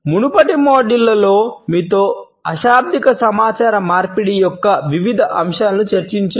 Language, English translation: Telugu, In the preceding modules, I have discussed various aspects of nonverbal communication with you